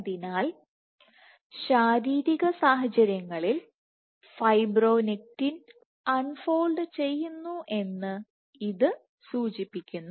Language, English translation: Malayalam, So, this would imply that fibronectin does get unfolded under physiological conditions